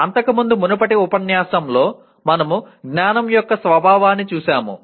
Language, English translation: Telugu, Earlier, in the earlier unit we looked at the nature of knowledge